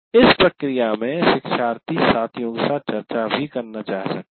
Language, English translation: Hindi, And in the process you may want to discuss with the peers